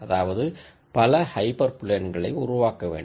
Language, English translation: Tamil, Now however you try to draw a hyper plane